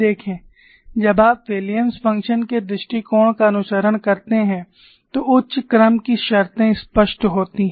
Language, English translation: Hindi, See, the higher order terms are explicit when you follow the Williams function approach